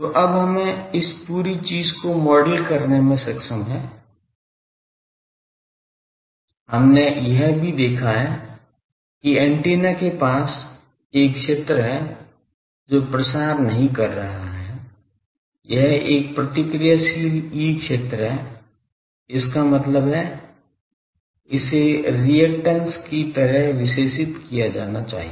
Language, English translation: Hindi, So, now we should be able to model this whole thing; also we have seen that near the antenna there is a field which is not propagating it is a reactive field; that means, it should be characterized by some reactance